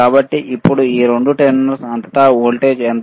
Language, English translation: Telugu, So now, what is the voltage across these two terminal